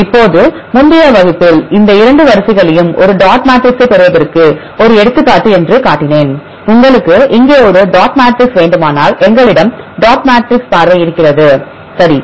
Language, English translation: Tamil, So now, in the previous class, I showed these 2 sequences as an example to get a dot matrix, if you want a dot matrix here we have the dot matrix view, right